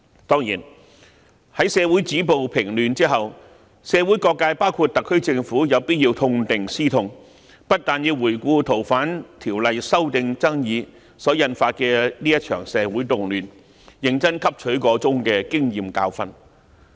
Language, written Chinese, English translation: Cantonese, 當然，在社會止暴制亂後，社會各界包括特區政府有必要痛定思痛，要回顧修訂《逃犯條例》爭議所引發的這場社會動亂，認真汲取箇中經驗和教訓。, Certainly after violence is stopped and disorder curbed all sectors of society including the SAR Government have to reflect deeply on the social unrest arising from the controversies about the proposed amendments of the Fugitive Offenders Ordinance and seriously learn from the experience and lessons